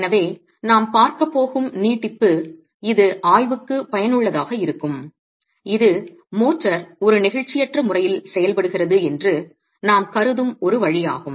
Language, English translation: Tamil, So, the extension that we will look at which is useful to examine is one way we consider that the motor behaves in an inelastic manner